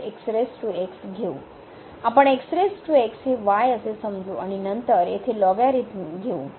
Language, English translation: Marathi, So, this is less than 1 and the logarithmic here